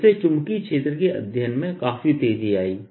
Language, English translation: Hindi, so this gave a jump to the steady of magnetic fields quite a bit